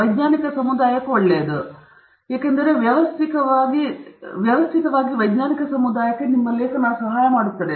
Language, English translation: Kannada, It is good for the scientific community because it helps the scientific community in a systematic manner